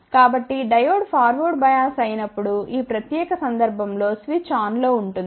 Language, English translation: Telugu, So, when Diode is forward bias which is in this particular case switch is on